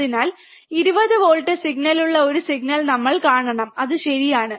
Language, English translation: Malayalam, So, we should see a signal which is 20 volt signal is out of phase that is correct, right